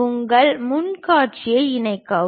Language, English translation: Tamil, Enclose your front view